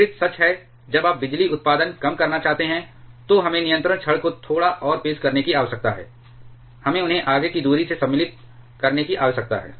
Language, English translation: Hindi, The opposite is true when you want to reduce the power production, then we need to introduce the control rods a bit more, we need to insert them by a further distance